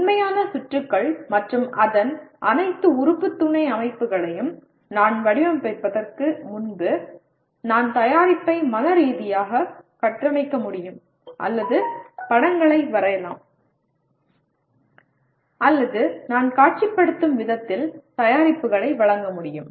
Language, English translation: Tamil, Before I design the actual circuits and all the element subsystems of that, I must be able to structure the product mentally or draw pictures or render the product the way I am visualizing